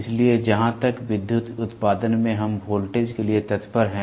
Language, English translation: Hindi, So, as far as electrical output we look forward for voltage